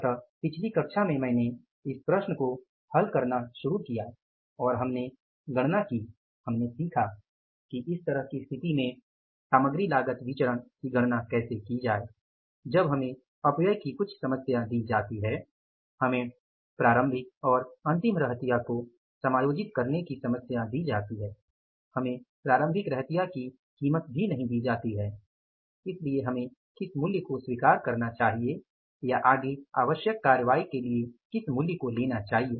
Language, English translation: Hindi, So, in the previous class I started solving this problem and we calculated, we learned that how to calculate the material cost variance in this kind of situation when we are given the same problem of the wastages we are given the problem of adjusting the opening and closing stock, we are not given the price of the opening stock so which price we have to accept or we have to take it further for taking the necessary action